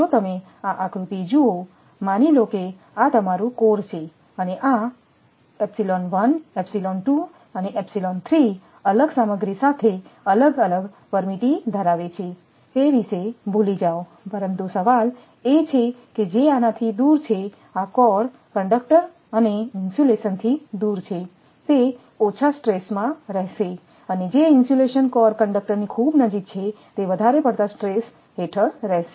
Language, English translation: Gujarati, If you just look at this diagram, suppose this is your core and this is your different your epsilon 1, epsilon 2, epsilon 3 different permittivity with different material forgetting that, but the question is that which is away from these away from these core conductor and insulation will be under stress and insulation which is very close to the your core conductor then it will be over stress